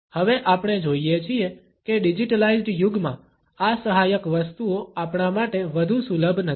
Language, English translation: Gujarati, Now, we find that in the digitalised age, these aids are not any more accessible to us